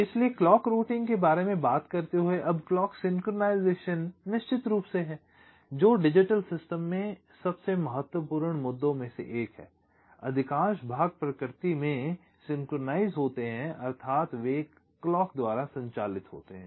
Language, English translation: Hindi, ok, so, talking about clock routing now clock synchronisation is, of course, one of the most important issues in digital systems, which, or most parts, are synchronous in nature, means they are driven by a clock